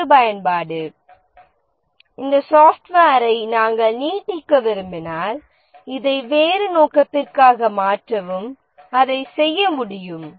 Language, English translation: Tamil, Reusability, if we want to extend this software, modify this for different purpose, it should be possible to do